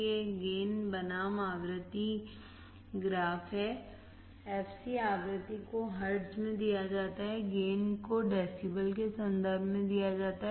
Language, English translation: Hindi, It is a gain versus frequency graph, fc frequency is given in hertz, gain is given in terms of decibel